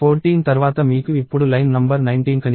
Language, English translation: Telugu, After 14 you see line number 19 now